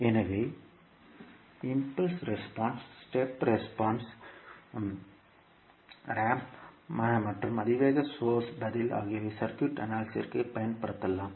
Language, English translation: Tamil, So, like impulse response, step response, ramp and exponential source response can be utilize for analyzing the circuit